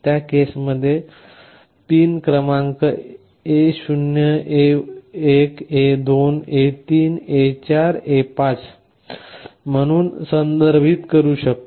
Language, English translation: Marathi, In that case those pin numbers we can refer to as A0 A1 A2 A3 A4 A5